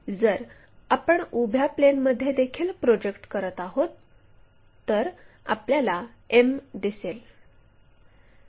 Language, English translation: Marathi, So, if we are projecting on the vertical plane also m we will see